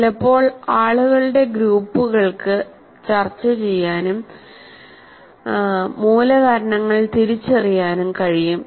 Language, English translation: Malayalam, Sometimes groups of people can discuss and identify the root causes